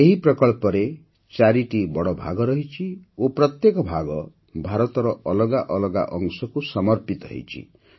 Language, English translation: Odia, There are four big volumes in this project and each volume is dedicated to a different part of India